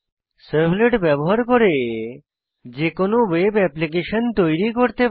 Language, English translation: Bengali, We can create any web application using servlets